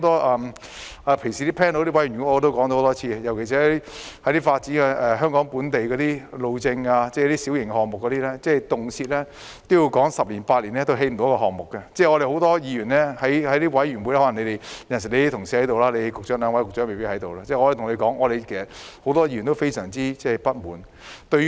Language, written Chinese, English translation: Cantonese, 我平時在一些委員會也說了多次，尤其是發展本地路政的小型項目，動輒十年八年也完成不了一個項目，很多議員也在委員會——可能只有局長的同事出席，兩位局長未有出席——表示非常不滿。, I have mentioned it many times in different committees that some projects took over eight to 10 years time to complete especially local minor road projects . Many Members expressed their discontent in committee meetings in which the two Secretaries were absent but their colleagues might be there